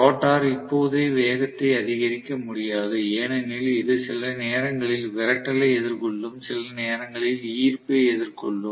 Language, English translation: Tamil, So, the rotor is not going to be able to get up to speed right away because of which it will face repulsion sometimes, attraction sometimes